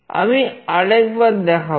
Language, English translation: Bengali, I will show once more